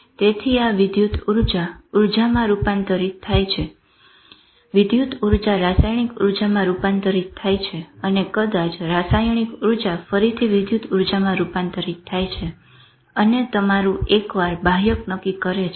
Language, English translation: Gujarati, So this energy converts to electrical energy, electrical energy converts to chemical energy, maybe chemical energy again to electrical energy